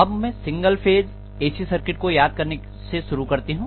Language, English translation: Hindi, So let me start with actually the recalling of single phase AC circuits